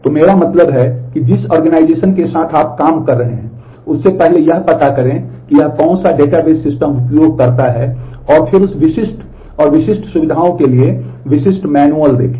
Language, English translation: Hindi, So, I mean given the organization that you are working with, first find out which database system it uses and then look into the specific manual for that and specific features